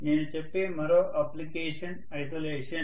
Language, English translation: Telugu, Another application I would say is isolation